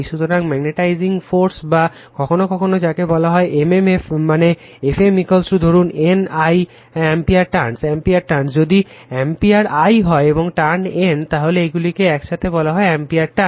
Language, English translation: Bengali, So, your magnetizing force or sometimes we call m m f that is your F m is equal to say N I ampere turns; if I is ampere and N is turn, so its unity call ampere turn